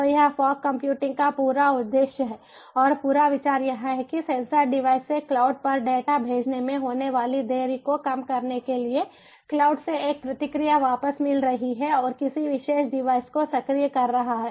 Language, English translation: Hindi, so this is the whole ah, ah objective of ah, fog computing, and the whole idea is also to reduce the delay ah that is incurred, ah, ah in sending the data from the sensor device to the cloud, from the cloud getting a response back and activating the particular device